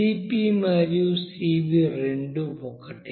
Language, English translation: Telugu, Cp and Cv both are same